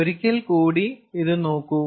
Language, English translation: Malayalam, lets look at this once again